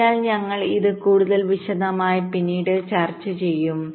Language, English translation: Malayalam, so we shall be discussing this in more detail later